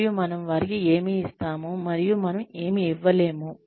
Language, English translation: Telugu, And, what we give them and, what we are not able to give them